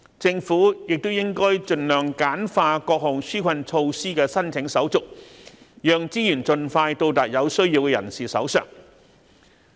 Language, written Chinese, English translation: Cantonese, 政府亦應該盡量簡化各項紓困措施的申請手續，讓資源盡快到達有需要人士的手上。, Meanwhile the Government should streamline as far as possible the application procedure for the relief measures so that resources can reach those in need timely